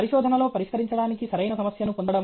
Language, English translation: Telugu, Getting the right problem to solve in research